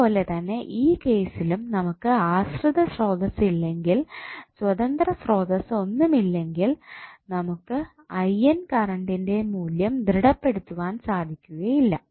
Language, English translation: Malayalam, So, similarly in this case also if you do not have dependent source, you do not have any independent source in the circuit you cannot stabilized the value of current I N